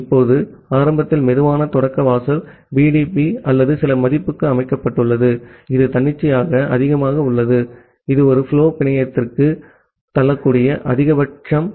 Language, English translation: Tamil, Now, initially the slow start threshold is set to BDP or some value, which is arbitrarily high, the maximum that a flow can push to the network